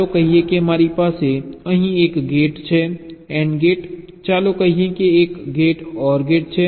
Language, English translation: Gujarati, lets say i have a gate here and gate, lets say, followed by an or gate